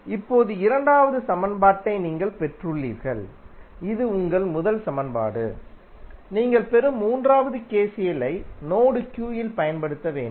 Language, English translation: Tamil, Now, you have got the second equation this was your first equation, the third which you will get is using KCL at node Q